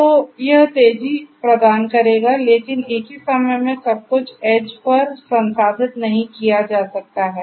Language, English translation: Hindi, So, that will make the life faster, but at the same time you know not everything can be processed at the edge